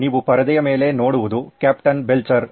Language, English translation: Kannada, What you see on the screen is Captain Belcher